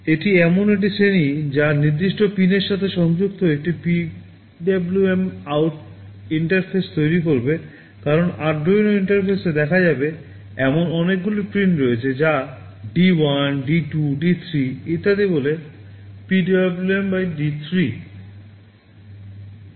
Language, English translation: Bengali, This is the class which will be creating a PwmOut interface connected with a specified pin, because on the Arduino interface will be seeing there are many pins which are called D1, D2, D3, etc